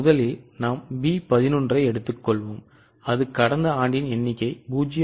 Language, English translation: Tamil, Fixed what will happen first of all we will take B 11 that is last year's figure into 0